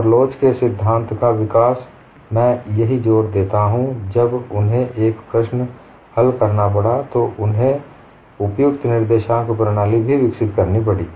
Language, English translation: Hindi, In the early development of theory of elasticity, when they have to solved a problem parallely they had to develop suitable coordinate system